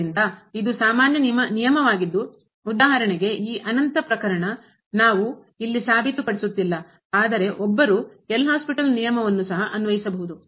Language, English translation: Kannada, So, this is a very general rule which we are not proving here for example, this infinity case, but one can apply the L’Hospital’s rule their too